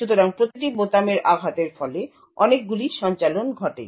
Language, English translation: Bengali, So, each keystroke results in a lot of execution that takes place